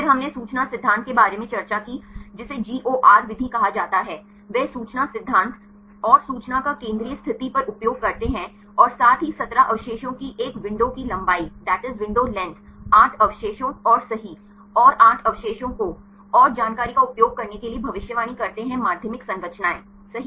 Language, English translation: Hindi, Then we discussed about information theory is called GOR method right they use the information theory and the information at the central position as well as a window length of 17 residues left side 8 residues and right side 8 residues right and use the information right to predict the secondary structures